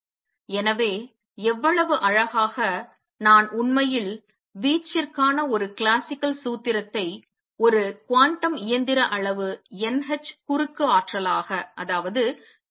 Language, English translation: Tamil, So, notice how beautifully, I have actually converted a classical formula for amplitude to a quantum mechanical quantity n h cross energy